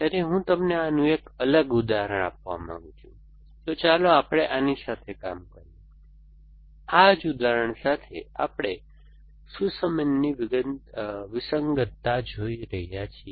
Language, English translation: Gujarati, So, I want to give you a flavor of this, so let us search work with this, with this same example that we are looking at the Sussman’s anomaly